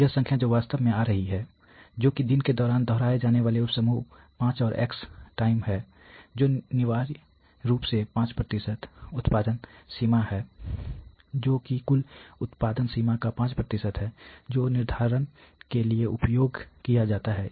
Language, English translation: Hindi, So, this number which is actually coming that is sub group of 5 and x number of times its being repeated during a day that is essentially the 5% production limit, that is 5% of the total production limit that is used for determination